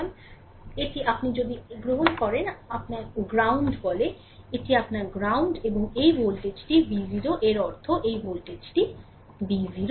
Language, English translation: Bengali, So, this is your if you take this is your ground say, this is your ground right and this voltage is V 0 means this voltage is V 0 right